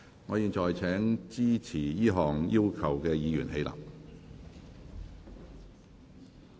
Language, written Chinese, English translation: Cantonese, 我現在請支持這項要求的議員起立。, I now call upon Members who support this request to rise in their places